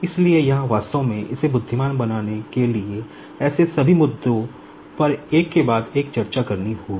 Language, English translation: Hindi, So, here, actually to make it intelligent, all such issues will have to be discussed one after another